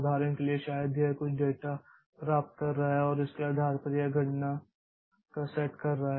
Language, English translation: Hindi, For example, maybe it is getting some data and based on that it is doing a set of computations